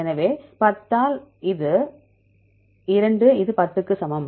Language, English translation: Tamil, So, 10 by 2 this is equal to 10